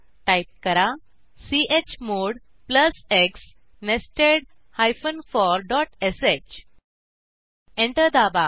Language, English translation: Marathi, Type chmod plus +x nested for dot sh Press Enter